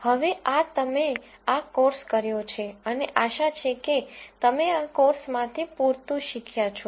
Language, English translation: Gujarati, Now, that is you have done this course and hopefully you have learned enough from this course